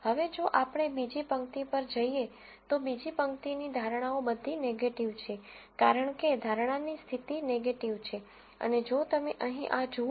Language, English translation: Gujarati, Now, if we go to the second row, the second row the predictions are all negative because predicted condition negative and if you look at this right here